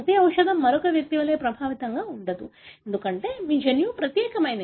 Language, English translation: Telugu, Not every drug is as effective as it is in another individual, because your genome is unique